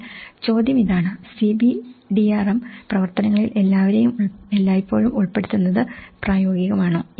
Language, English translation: Malayalam, But the question is; is it practical to involve everyone all the time in CBDRM activities